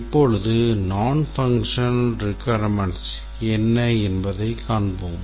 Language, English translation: Tamil, Now let's look at the functional requirements